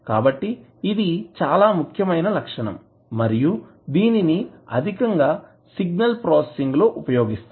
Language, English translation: Telugu, So, this is very important property and we use extensively in the signal processing